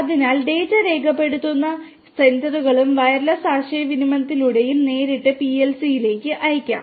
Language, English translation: Malayalam, So, the sensors that record the data and through wireless communication it could be directly sent to the PLC